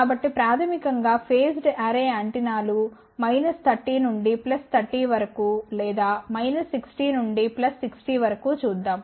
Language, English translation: Telugu, So, basically phased array antennas are used to scan viewed from let say minus 30 plus 30 or maybe minus 60 plus 60 degree